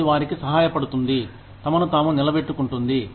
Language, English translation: Telugu, That can help them, sustain themselves